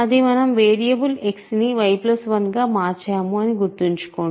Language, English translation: Telugu, So, remember, that was our change of variable y plus 1 is X